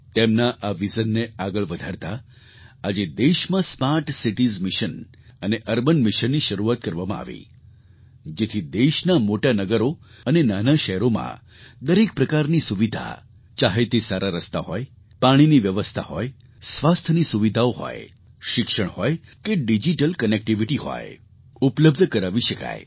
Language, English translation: Gujarati, In continuance with his vision, smart city mission and urban missionwere kickstarted in the country so that all kinds of amenities whether good roads, water supply, health facilities, Education or digital connectivity are available in the big cities and small towns of the country